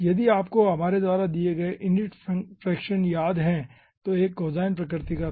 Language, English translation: Hindi, if you remember the unit fraction, whatever we have given that was having a cosine nature